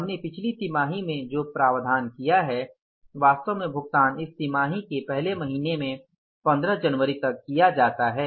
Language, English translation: Hindi, Actually the payment is made in this quarter in the first month by 15th of January